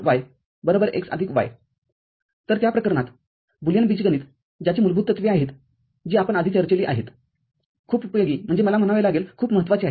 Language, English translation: Marathi, So, in that case, the Boolean algebra that we have the fundamentals which we discussed before can be of very useful I mean, very important